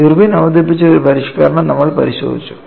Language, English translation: Malayalam, So, one of the earliest modification was done by Irwin